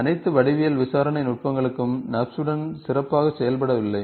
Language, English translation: Tamil, Not all geometric interrogation techniques works very well with the NURBS